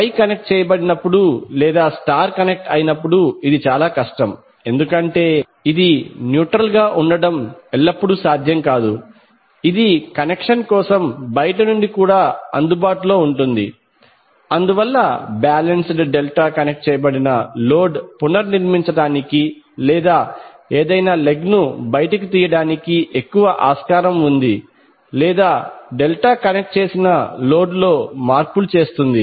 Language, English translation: Telugu, It is difficult is case of wye connected or star connected because it is not always possible to have neutral which is accessible from outside for the connection, so that is why the balanced delta connected load is more feasible for reconfiguring or taking any leg out or doing the changes in the delta connected load